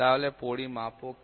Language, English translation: Bengali, So, what is measurand